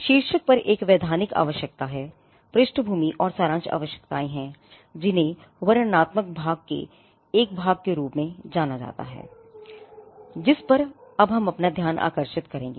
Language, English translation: Hindi, The title there is a statutory requirement up on the title, background and summary are requirements which are regarded as a part of the descriptive part to which we will now turn our attention